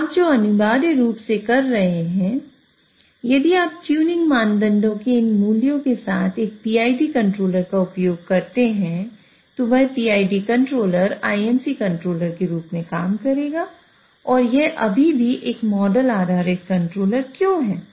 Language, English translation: Hindi, So what you are essentially doing is if you use a PID controller with these values of the tuning parameters, then that PID controller will work as an IMC controller